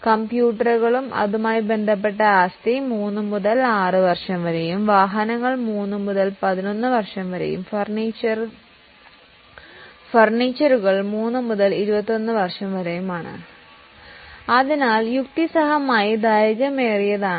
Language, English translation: Malayalam, Computers and IT related assets is 3 to 6 years, vehicles 3 to 11 years, furniture fixtures 3 to 21 years